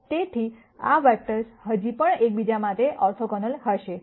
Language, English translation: Gujarati, So, these vectors will still be orthogonal to each other